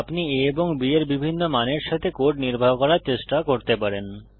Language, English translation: Bengali, You can try executing this code with different values of a and b